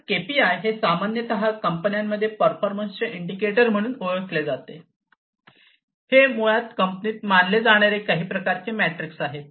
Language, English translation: Marathi, So, KPI is commonly known as KPIs key performance indicators are considered in the companies these are basically some kind of a metrics that are considered in the company